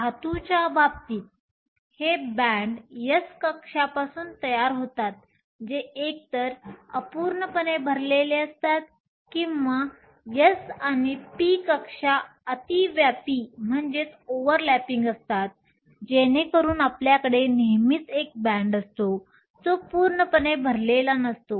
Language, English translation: Marathi, In the case of metals, these bands are formed from s shells that are either incompletely filled or from s and p shells overlapping, so that we always have a band that is not completely full